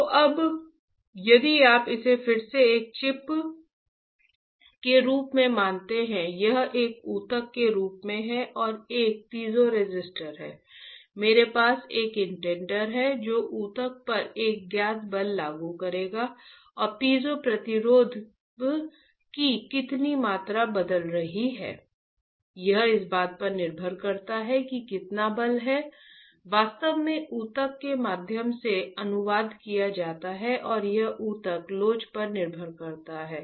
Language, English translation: Hindi, So, now if you again consider this as a chip, this as a tissue and there is a piezoresistor, I have a indenter which will apply a known force on the tissue and how much amount of piezo resistance is changing depends on how much force is actually translated through the tissue and that depends on the tissue elasticity, you got it